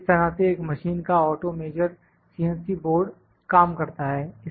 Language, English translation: Hindi, This is how the auto measured the CNC board of the machine works